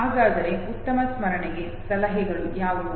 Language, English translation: Kannada, So what are the tips for better memory